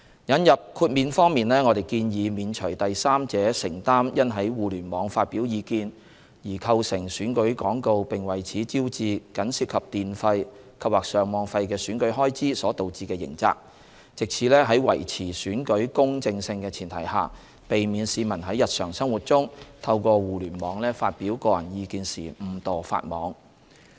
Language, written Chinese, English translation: Cantonese, 引入豁免方面，我們建議免除第三者承擔因在互聯網發表意見而構成選舉廣告並為此招致僅涉及電費及/或上網費的選舉開支所導致的刑責，藉此在維持選舉公正性的前提下，避免市民在日常生活中透過互聯網發表個人意見時誤墮法網。, Insofar as exemption is concerned we proposed to exempt from criminal liability in respect of the activity of a third party who incurs merely electricity and Internet access charges in publishing election advertisements on the Internet so that without affecting the fairness of election the public could avoid breaching the law inadvertently in expressing their views on the Internet